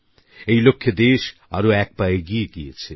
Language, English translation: Bengali, The country has taken another step towards this goal